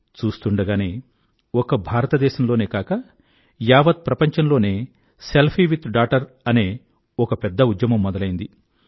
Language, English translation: Telugu, In no time, "Selfie with Daughter" became a big campaign not only in India but across the whole world